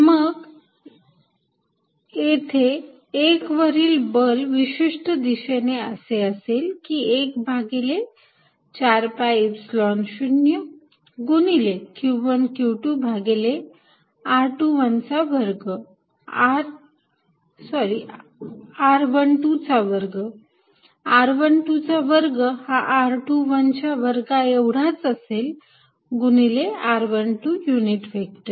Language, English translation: Marathi, Then, the force on 1 with proper direction can be written as 1 over 4 pi Epsilon 0 q 1 q 2 over r 1 2 square, r 1 2 square is the same as r 2 1 square times r 1 to 2 unit vector